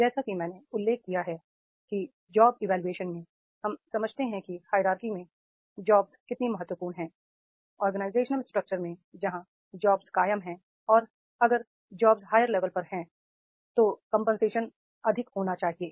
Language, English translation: Hindi, As I mentioned, that is the in the job evaluation, in the job evaluation we understand how important is the job in the hierarchy in the organization structure where the job is sustaining and if the job is sustaining at the higher level the compensation that has to be the higher